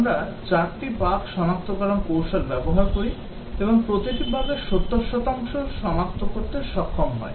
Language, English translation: Bengali, We use 4 bug detection techniques, and each is able to detect 70 percent of the bugs